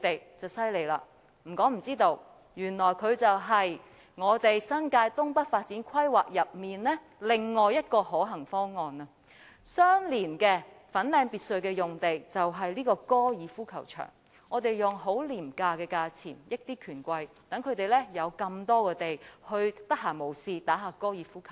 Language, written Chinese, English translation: Cantonese, 如果不說大家也不會知道，原來它是新界東北發展規劃中另外一個可行方案，相連粉嶺別墅的用地便是高爾夫球場，我們以很廉宜的價錢利便權貴，有這麼多土地，讓他們閒時可以玩玩高爾夫球。, We will not know if it is not mentioned as it is one of the feasible options for the NENT planning . The site adjoining the Fanling Lodge is the golf course where those bigwigs can have the convenience of playing golf at very low cost . With such a spacious site they can play golf during leisure time